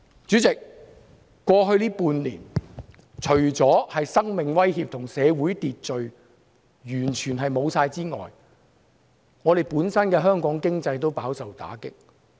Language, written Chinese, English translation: Cantonese, 主席，過去半年，除了生命受威脅和社會完全失去秩序之外，香港本身的經濟也飽受打擊。, President in addition to the threat to lives and total loss of order in society over the past six months Hong Kongs economy has suffered a lot